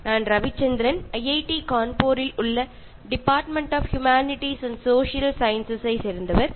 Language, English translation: Malayalam, I am Ravichandran from the Department of Humanities and Social Sciences, IIT Kanpur